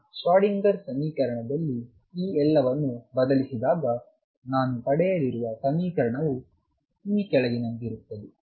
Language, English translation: Kannada, So, if I put this in the original Schrodinger equation